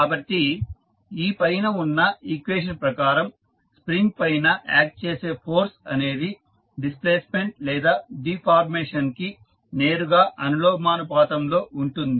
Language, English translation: Telugu, So, in this above equation it implies that the force acting on the spring is directly proportional to displacement or we can say the deformation of the thing